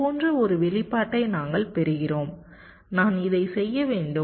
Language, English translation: Tamil, so we get an expression like this i am just to working this out